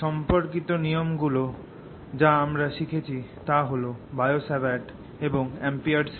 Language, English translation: Bengali, the related laws that we learnt are bio, savart and amperes law